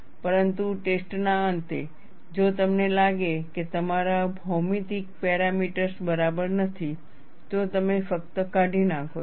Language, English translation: Gujarati, But at the end of the test, if you find that your geometric parameters were not alright, you simply discard